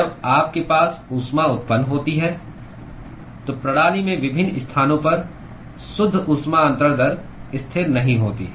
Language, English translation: Hindi, When you have heat generation, the net heat transfer rate at different locations in the system is not constant